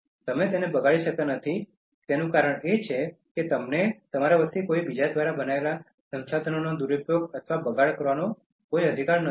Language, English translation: Gujarati, The reason why you cannot waste them is that, you have no right to misuse or waste resource created by somebody else on your behalf